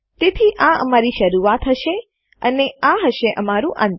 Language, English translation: Gujarati, So this will be the start and this will be our end